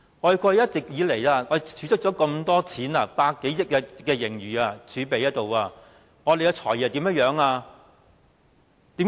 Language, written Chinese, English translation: Cantonese, 過去一直以來，我們儲蓄了這麼多錢，有100多億元盈餘儲備，而我們的"財爺"怎樣做？, Over the years we have saved a lot of money and our surplus reserve is now over 10 billion . But what has our Financial Secretary done?